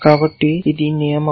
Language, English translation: Telugu, So, this is rule